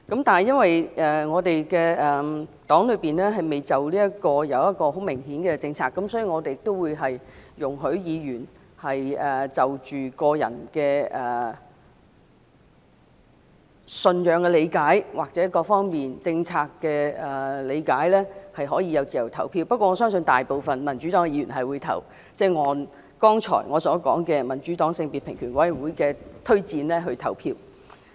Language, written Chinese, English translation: Cantonese, 但是，基於我們黨內就這方面未有明顯的政策，所以我們容許議員就個人的信仰或各方面政策的理解而自由投票，不過，我相信大部分民主黨的議員會按我剛才提到民主黨的性別平權委員會的推薦來投票。, Nonetheless since our party does not have a clear policy in this respect we allow our Members to cast their votes according to their religious beliefs or their understanding about the relevant policy . But I believe most Members of the Democratic Party will cast their votes according to the recommendation of the gender equality committee of the Democratic Party